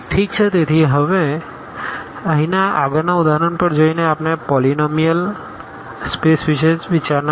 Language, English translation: Gujarati, Well, so, now going to the next example here we will consider the polynomial space